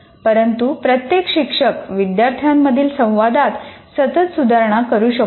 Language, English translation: Marathi, But every teacher can make do with continuous improvement in student interaction